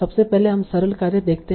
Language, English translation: Hindi, First let us see the simplest task